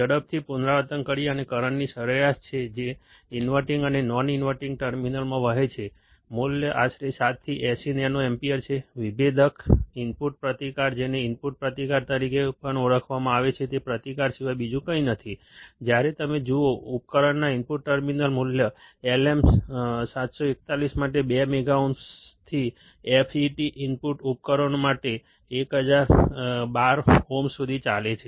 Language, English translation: Gujarati, To quickly revise, it is the average of the current that flows in the inverting and non inverting terminals, the value is around 7 to 80 nano ampere, differential input resistance also known as input resistance is nothing but the resistance, when you look at the input terminals of the device, the value runs from 2 mega ohms for LM741 to 1012 ohms for FET input devices